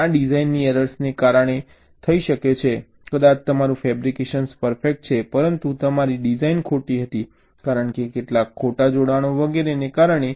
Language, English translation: Gujarati, maybe your fabrication is perfect, but your design was wrong, because of some incorrect connections and so on